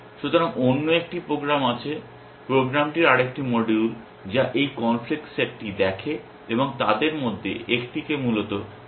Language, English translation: Bengali, So, there is another program, another module to the program which looks at this conflict set and picks one of them to fire essentially